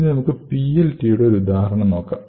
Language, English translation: Malayalam, So, let us take an example of PLT